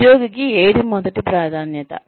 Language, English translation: Telugu, Which is the first priority for any employee